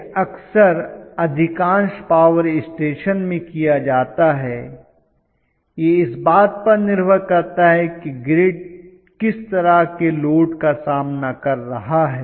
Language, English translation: Hindi, This is done very often in most of the power stations depending upon what kind of load the grid is phasing